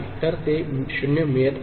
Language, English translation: Marathi, So, that is getting 0